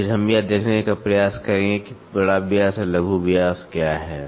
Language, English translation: Hindi, Then, we will try to see what is major diameter and minor diameter